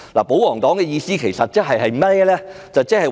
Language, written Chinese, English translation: Cantonese, 保皇黨的意思其實是甚麼呢？, What does the pro - Government camp actually mean?